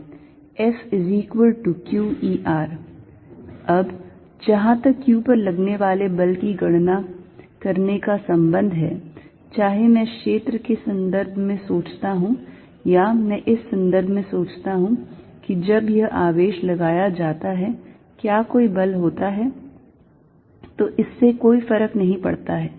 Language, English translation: Hindi, Now, as far as calculating force on q is concerned, whether I think in terms of fields or I think in terms of when this charges are brought to whether there is a force, it does not make a difference